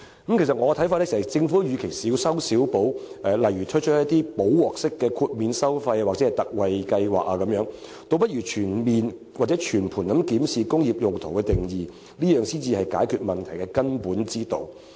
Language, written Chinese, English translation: Cantonese, 其實，依我看法，政府與其小修小補，推出"補鑊式"的豁免收費或特惠計劃，倒不如全面或全盤檢視"工業用途"一詞的定義，這才是解決問題的根本之道。, Actually instead of providing minor remedies like introducing the fee exemptionconcessionary scheme to rectify the situation the Government should comprehensively review the definition of the term industrial use . This is the fundamental solution to the problem